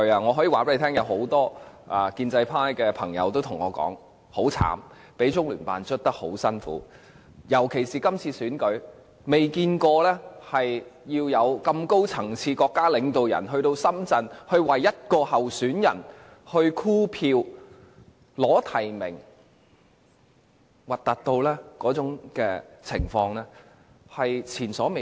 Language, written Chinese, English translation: Cantonese, 我可以告訴大家，有很多建制派朋友對我說他們很慘，被中聯辦迫得很辛苦，特別是今次選舉，他們從未見過這麼高層次的國家領導人到深圳為一位候選人箍票、爭取提名，那種情況難看得前所未見。, I can tell Members that many pro - establishment people have told me that they have been miserably pressurized by LOCPG . For this election in particular a very high ranking state leader once went to Shenzhen to solicit nominations and votes for a certain candidate . This practice is unprecedented and very embarrassing indeed